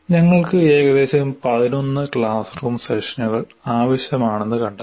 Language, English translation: Malayalam, So, it was found that we require, we will require about 11 classroom sessions